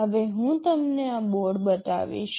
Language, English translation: Gujarati, Now, let me show you this board